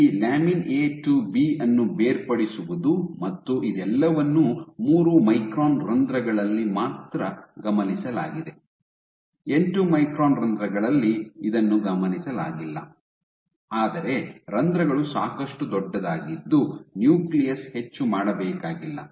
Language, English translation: Kannada, So, this segregation of lamin A to B an all this was only observed in three micron pores, it was not observed in eight micron pores, but the pores are big enough that the nucleus doesn’t need to do for much